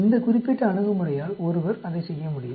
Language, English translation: Tamil, There are, this particular approach by which one could do that